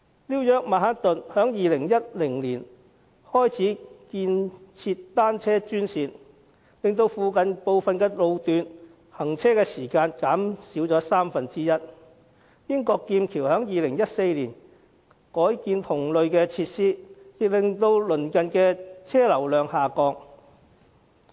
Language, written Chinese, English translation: Cantonese, 紐約曼克頓在2010年開始建設單車專線，令附近部分路段的行車時間減少三分之一；英國劍橋在2014年改建同類設施，令鄰近車流量下降。, In Manhattan of New York City the building of bicycle - only lanes started in 2010 and it has shortened the journey time for nearby road sections by one third . In Cambridge of the United Kingdom the redevelopment of similar facilities in 2014 has lowered the traffic flow in the vicinity